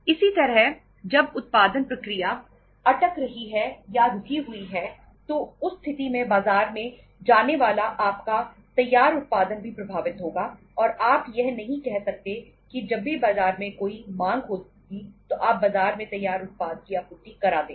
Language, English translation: Hindi, Similarly, when the production process is getting stuck or halted in that case your finished production going to the market will also be getting affected and you canít say that as and when there is a demand in the market you would be supplying the finished product in the market